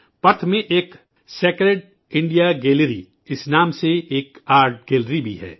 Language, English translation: Urdu, In Perth, there is an art gallery called Sacred India Gallery